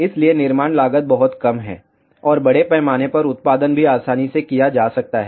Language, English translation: Hindi, So, fabrication cost is very low and also mass production can be done very easily